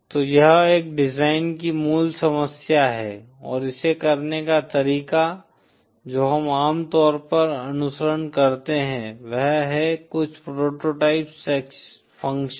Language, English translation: Hindi, So that is the basic problem of a design & the way to do it, what we usually follow is to have some prototype functions